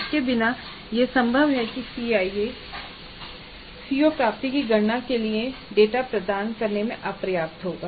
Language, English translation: Hindi, Without that it is possible that the CIE will be inadequate in providing that data for computing the CO attainment